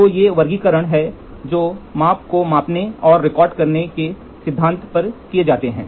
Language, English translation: Hindi, So, these are the classifications which are done on the principle for amplifying and recording measurements